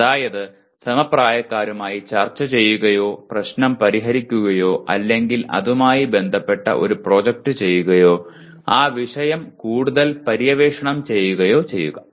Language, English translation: Malayalam, That is either discussing with peers or solving the problem or doing a project related to that or exploring that subject further